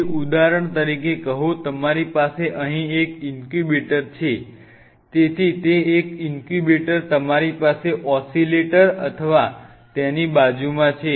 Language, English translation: Gujarati, So, have say for example, you have one incubator here right and of course, so, that one incubator you have oscillator or adjacent to it